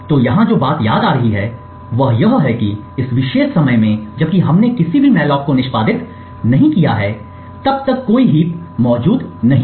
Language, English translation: Hindi, So what is missing here you would notice is that at this particular time since we have not execute any malloc as yet there is no heap that is present